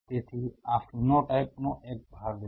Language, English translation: Gujarati, So, this is part one the phenotype